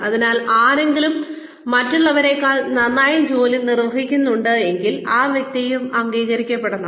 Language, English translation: Malayalam, So, if somebody outperforms others, then that person should be recognized also